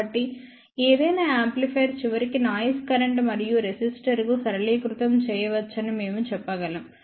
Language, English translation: Telugu, So, we can say that any amplifier can be ultimately simplified to a noise current and a resistor